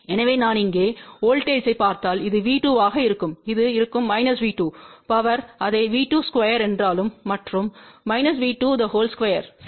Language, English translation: Tamil, So, if I will look at the voltage here so this will be V 2 and this will be minus V 2 even though the power is same V 2 square and minus V 2 square ok